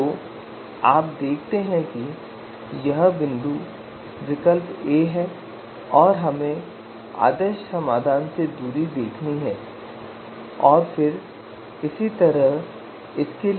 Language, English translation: Hindi, So you see this is the point alternative A and we have to see the distance from the ideal solution and then similarly for this one